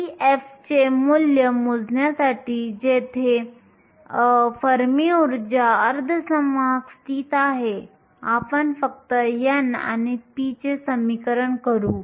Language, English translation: Marathi, To calculate the value of e f that is where the fermi energy is located the semiconductor, let us just equate n and p